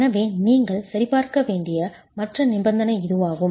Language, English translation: Tamil, So, this is the other condition which you need to check